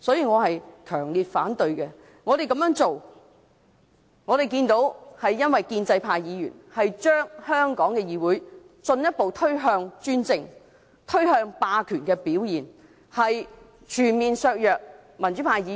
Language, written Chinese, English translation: Cantonese, 我們這樣做，是因為我們看到建制派議員把香港的議會進一步推向專政和霸權，全面削弱民主派議員的權力。, We do so because we have noticed that pro - establishment Members are pushing the Hong Kong legislature further towards dictatorship and autocracy while attempting to undermine the power of democratic Members on all fronts